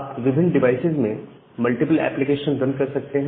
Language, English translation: Hindi, You can run multiple application in different devices